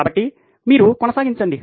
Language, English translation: Telugu, So, you keep going